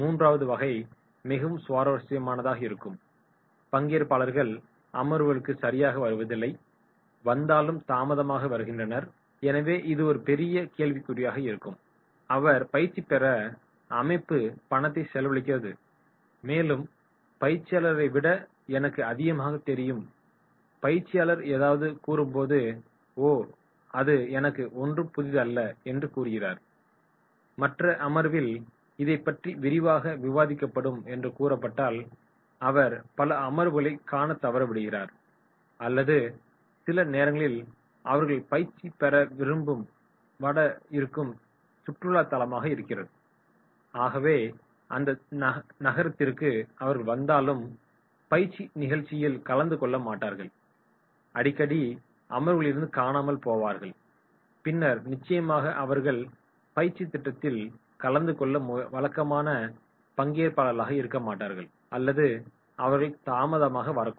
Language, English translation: Tamil, Third will be a very interesting type; missing sessions, arriving late, so therefore it is a big question, organisation is sponsoring the training, spending the money and trainee believes “I know more” and what will be discussed in the session “Oh that is not new for me” and in that case what he does, he starts missing the sessions or sometimes they come to the place, maybe the training is at a very beautiful tourist place and therefore they will come to that city and they will not attend the training program and they will be missing the sessions and then definitely they will not be a regular trainee to attend the training program or they may arrive late